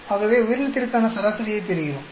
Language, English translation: Tamil, So we get the average for organism